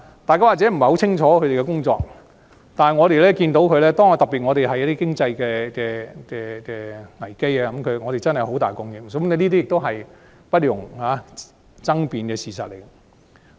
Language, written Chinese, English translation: Cantonese, 大家可能不太清楚他們的工作，但當遇上經濟危機，我們便尤其看到他們真的作出很大貢獻，是不容爭辯的事實。, People may not clearly know what they are doing but in times of economic crises we will particularly see that they have really made an enormous contribution which is an indisputable fact